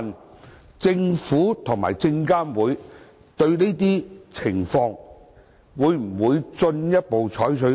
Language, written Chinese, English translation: Cantonese, 主席，就這個問題，證監會與中國證券監督管理委員會一直保持溝通。, President in order to tackle the issues SFC has all along maintained communication and exchanges with the China Securities Regulatory Commission